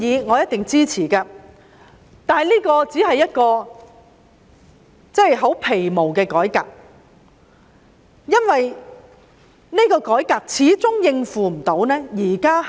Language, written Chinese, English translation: Cantonese, 我一定會支持這個建議，但這只是十分皮毛的改革，因為司法機構始終無法應付目前大量積壓的案件。, I surely support this option . But this will only be a minor reform because the Judiciary still will not be able to handle the huge caseload at present